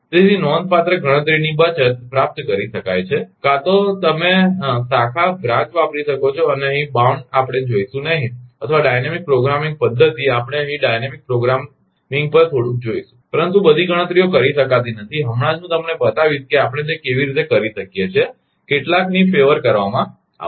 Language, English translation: Gujarati, So, considerable computational saving can be achieved either you can use branch and bound here we will not see, or a dynamic programming method we will see little bit on dynamic programming here, but all calculations cannot be done, right just I will show you that how can we do it some flavour will be given right